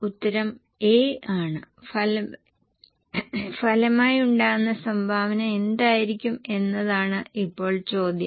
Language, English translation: Malayalam, The answer is A and now the question is what will be the resultant contribution